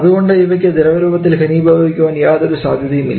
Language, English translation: Malayalam, And therefore, there is no chance for them to condense to form liquid